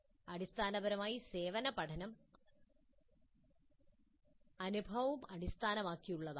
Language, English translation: Malayalam, Basically service learning can be experience based